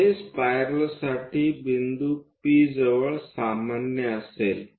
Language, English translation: Marathi, This will be the normal to the spiral at point P